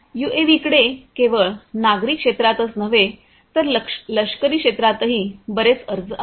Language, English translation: Marathi, UAVs have also lot of applications not only in the civilian sector, but also in the military sector as well